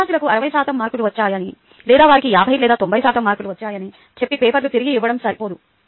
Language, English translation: Telugu, its not sufficient to just return the papers to the students saying they have got sixty percent marks, or they have got fifty or ninety percent marks, and so on